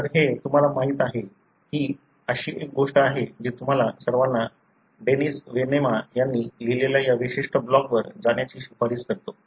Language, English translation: Marathi, So, this is you know, this is something which I really recommend all of you to go to this particular blog, written by Dennis Venema